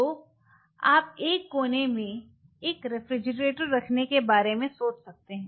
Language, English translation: Hindi, So, you may think of having a refrigerator in one of the corners